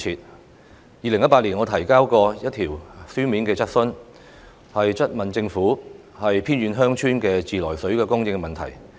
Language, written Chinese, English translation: Cantonese, 我曾在2018年提出過一項書面質詢，詢問政府有關"偏遠鄉村的自來水供應"問題。, I raised a written question in 2018 to ask the Administration about the issue of the Supply of tap water to remote villages